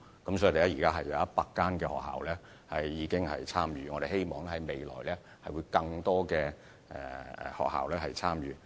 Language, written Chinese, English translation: Cantonese, 現時已有約100間學校參與計劃，我們希望將來有更多學校參與。, Currently approximately 100 schools have joined this programme and we hope more schools can join it in the future too